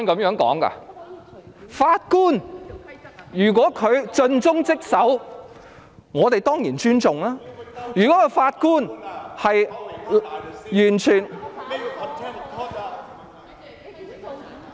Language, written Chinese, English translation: Cantonese, 如果法官盡忠職守，我們當然尊重，如果法官完全......, If a judge is faithful and responsible we definitely should accord respect but if the judge is totally